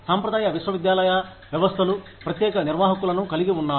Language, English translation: Telugu, In, traditional university systems, you have separate administrators